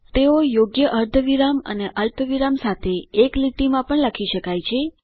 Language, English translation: Gujarati, They can also be written in a single line with proper semicolons and commas